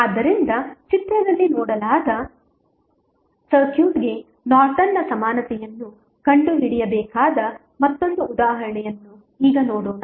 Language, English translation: Kannada, So, now let us see another example where you need to find out the Norton's equivalent for the circuit given in the figure